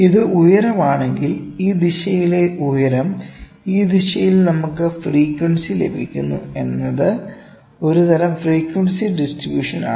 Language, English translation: Malayalam, Let me say if this is again height, height in this direction and we having frequency in this direction is kind of a frequency distribution again, ok